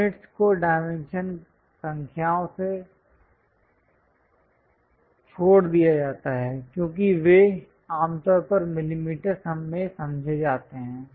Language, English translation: Hindi, Units are omitted from the dimension numbers since they are normally understood to be in millimeters